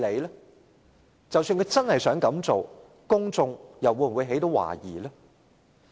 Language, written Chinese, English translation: Cantonese, 即使政府真的想這樣做，公眾又會否懷疑？, Will members of the public have doubts even if the Government really intends to do so?